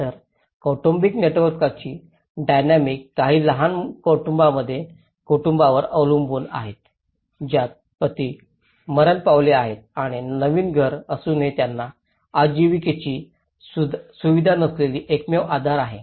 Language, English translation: Marathi, So, the dynamics of the family networks have very dependent on family to family for some small families of where husband died and he is the only support but despite of having a new house but there is no livelihood facility